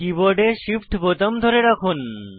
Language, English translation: Bengali, Hold the Shift button on the keyboard